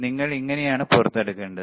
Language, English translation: Malayalam, So, this is how you should take it out